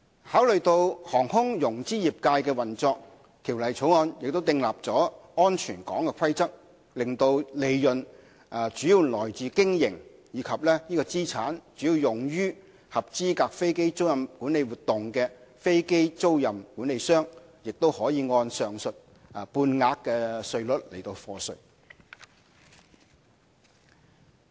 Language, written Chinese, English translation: Cantonese, 考慮到航空融資業界的運作，《條例草案》訂立了"安全港"規則，使利潤主要來自於經營，以及資產主要用於合資格飛機租賃管理活動的飛機租賃管理商，也可以按上述半額稅率課稅。, Having considered the operation of the aviation finance industry we have prescribed in the Bill a safe harbour rule to allow aircraft leasing managers having profits primarily from and assets primarily for their qualifying aircraft leasing management activities to enjoy the aforementioned half - rate